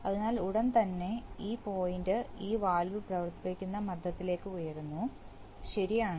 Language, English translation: Malayalam, So immediately this point rises to pump pressure that will operate this valve, right